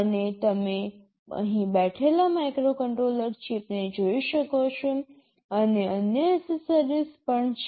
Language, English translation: Gujarati, And you can see the microcontroller chip sitting here, and there are other accessories